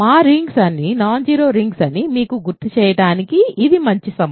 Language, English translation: Telugu, It is a good time for me to remind you that all our rings are non zero rings